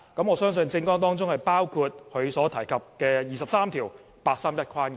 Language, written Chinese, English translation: Cantonese, 我相信政綱當中也包括他所提及的"廿三條"及八三一框架。, I believe that means the contents of his election platform which include enacting legislation under Article 23 of the Basic Law and the 31 August framework